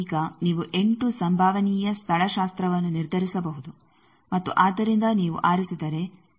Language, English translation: Kannada, Now, you can decide 8 possible topologies and so this you see that if you choose